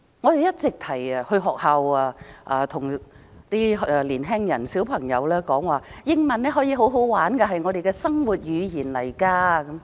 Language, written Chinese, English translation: Cantonese, 我們經常到學校向青年人、小孩子說，英文可以十分有趣，是我們的生活語言。, We always go to schools and tell young people and children there that learning English can be very interesting and it is also a language we use in our daily lives